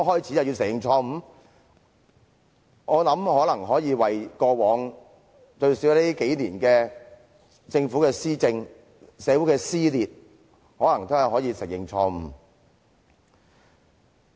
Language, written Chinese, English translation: Cantonese, 我覺得他們大可為過往，最少是近年來政府的施政、社會的撕裂而承認錯誤。, I think they may well show penance at least for the governance problems and social division over the past few years